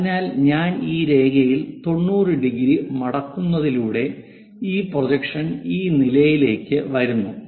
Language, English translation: Malayalam, So, if I am making that fold by 90 degrees around this line, then this projection comes to this level